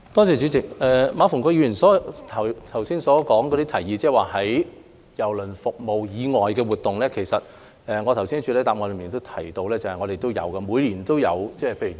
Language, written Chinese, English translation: Cantonese, 主席，馬逢國議員剛提出的提議，即舉辦郵輪服務以外的活動，其實我剛才在主體答覆中已提及我們每年也有舉辦有關活動。, President regarding Mr MA Fung - kwoks proposal of holding non - cruise service events I have actually mentioned earlier in my main reply that we hold such events every year